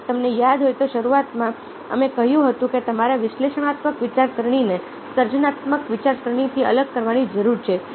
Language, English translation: Gujarati, if you remember, right at the beginning we said that you need to differentiated analytical thinking from creative thinking